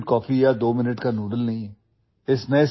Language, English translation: Urdu, It is not instant coffee or twominute noodles